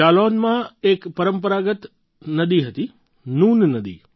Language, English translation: Gujarati, There was a traditional river in Jalaun Noon River